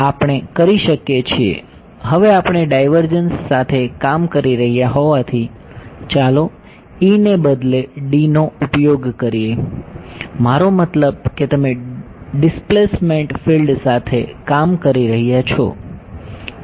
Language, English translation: Gujarati, We can; now since we are working with divergences less is use D instead of E; I mean since your working with the displacement field